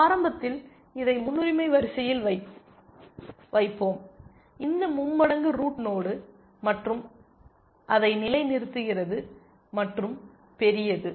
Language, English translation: Tamil, Initially we insert this into the priority queue, this triple where the root node and level it live and plus large